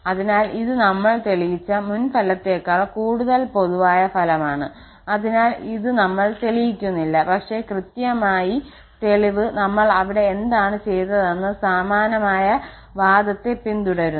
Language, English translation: Malayalam, So, this is a more general result than the earlier one which we have proved, so this we are not proving but exactly the proof follows the similar argument what we have just done there